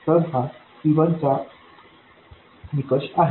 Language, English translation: Marathi, This is the criterion for C1